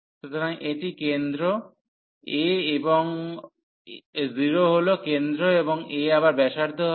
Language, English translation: Bengali, So, this is the center a and 0 is the center and a is the radius again